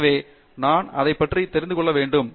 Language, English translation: Tamil, So, therefore, I want to know about it